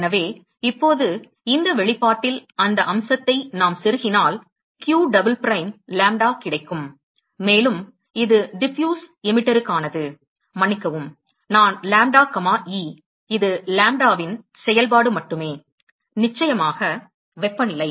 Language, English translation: Tamil, So now, if we plug in that aspect on this expression here, so will get q double prime lambda, and this is for Diffuse Emitter, excuse me, I lambda comma e, that is only a function of lambda, and of course, temperature